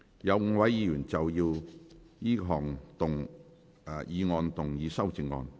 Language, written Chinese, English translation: Cantonese, 有5位議員要就這項議案動議修正案。, Five Members wish to move amendments to this motion